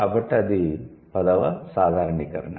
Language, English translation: Telugu, So, that's about tenth generalization